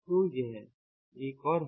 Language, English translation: Hindi, so this is another